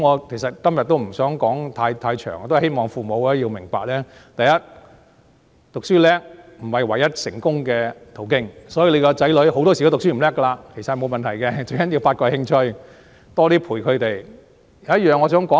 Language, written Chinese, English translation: Cantonese, 其實，我今天不想說太多，我希望父母明白，讀書好不是唯一成功的途徑，所以子女成績不好，沒有問題，最重要是發掘興趣，多些陪伴他們。, In fact I do not want to talk too much today but I hope parents will understand that academic excellence is not the only way to succeed and thus poor academic results of their children are not a problem . The most important thing is to discover their interests and accompany them more